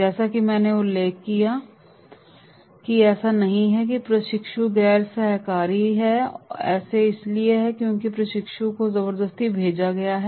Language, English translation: Hindi, As I mentioned that it is not that the trainee is non co operative, it is because the trainee have been sent forcefully